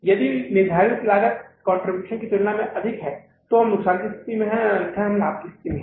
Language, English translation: Hindi, If the fixed cost is higher as compared to the contribution, then we are in this state of loss, otherwise we are in the state of profit